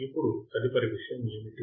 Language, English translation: Telugu, Now what is the next thing